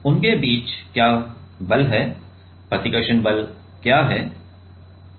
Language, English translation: Hindi, Now, what is the force between them what is the repulsion force